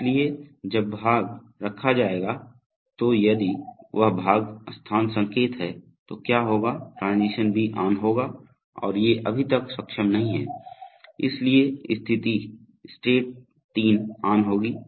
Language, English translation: Hindi, So when the part will be placed then if the, if that part place signal comes then what will happen is the transition B will be on and these are not yet enabled, so therefore state 3 will be on right